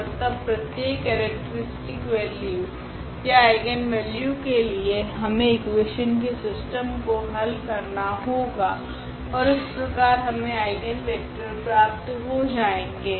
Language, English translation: Hindi, And, then for each characteristic value or each eigenvalue we have to solve that system of equation that now we will get in that way the eigenvectors